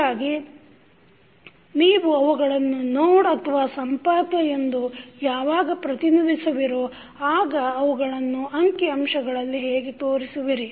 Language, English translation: Kannada, So, when you represent them as a node how you will show them in the figure